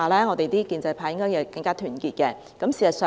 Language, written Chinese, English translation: Cantonese, 我們建制派應該更加團結。, Our pro - establishment camp should be more united